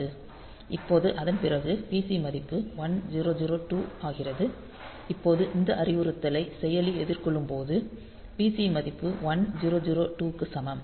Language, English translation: Tamil, Now after that the PC value becomes 1002; now from; so, after when this instruction has been faced by the processor; so, the PC value is equal to 1002